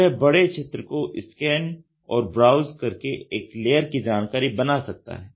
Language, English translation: Hindi, So, this can scan and browse through a large area to create one layer of information